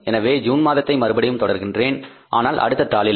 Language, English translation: Tamil, So I am continuing with the the month of June but on the next sheet, right